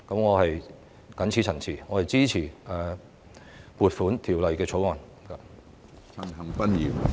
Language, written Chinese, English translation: Cantonese, 我謹此陳辭，支持《2021年撥款條例草案》。, With these remarks I support the Appropriation Bill 2021